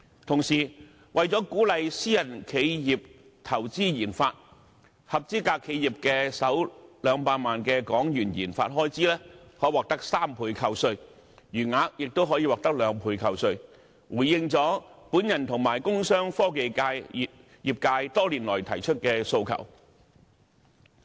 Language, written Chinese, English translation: Cantonese, 同時，為了鼓勵私人企業投資研發，合資格企業的首200萬港元研發開支可獲得3倍扣稅，餘額亦可獲兩倍扣稅，回應了我和工商科技業界多年來提出的訴求。, Meanwhile to encourage private enterprises to invest in RD eligible enterprises will enjoy a 300 % tax deduction for the first HK2 million of RD expenditure and a 200 % deduction for the remainder which has addressed the requests made by me and the industrial commercial and technology sectors over the years